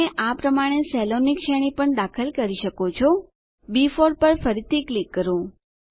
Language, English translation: Gujarati, You can also enter a range of cells like this Click on B4 again